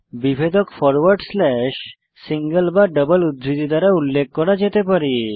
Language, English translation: Bengali, Delimiters can be specified in forward slash, single or double quotes